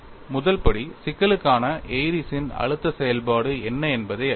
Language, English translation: Tamil, The first step is to know, what is the Airy's stress function for the problem